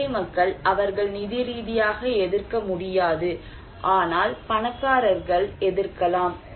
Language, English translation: Tamil, Like poor people, they cannot resist financially, but maybe rich people can resist